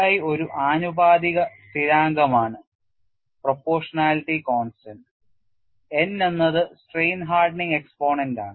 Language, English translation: Malayalam, And Ki is proportionality constant; n is strain hardening exponent